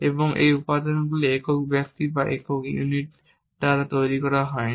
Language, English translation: Bengali, And these components were also not made by one single person or one single unit